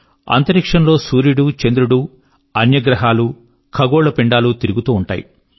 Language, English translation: Telugu, Sun, moon and other planets and celestial bodies are orbiting in space